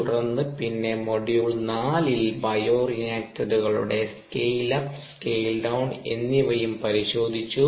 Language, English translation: Malayalam, then we also looked at scale up and scale down of bioreactors in module four